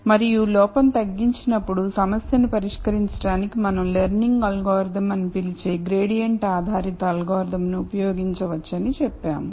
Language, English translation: Telugu, And when we minimize error, we said we could use some kind of gradient based algorithm what we called as the learning algorithm to solve the problem